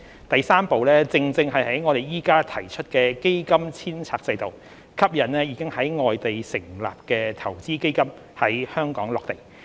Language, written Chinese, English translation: Cantonese, 第三步正正是我們現在提出的基金遷冊制度，吸引已在外地成立的投資基金在香港落地。, The third step is precisely the fund re - domiciliation mechanism we are proposing now which is aimed to attract investment funds established elsewhere to be based in Hong Kong